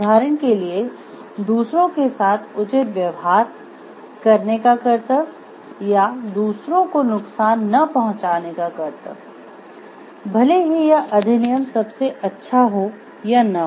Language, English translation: Hindi, For example, the duty to treat others fairly or the duty not to injure others, regardless of whether this act leads to the most good or not